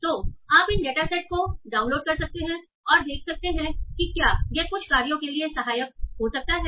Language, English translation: Hindi, So this so you can go and download these data sets and see whether this can be helpful for certain tasks